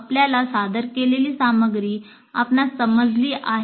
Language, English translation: Marathi, Do you understand the contents that are presented to you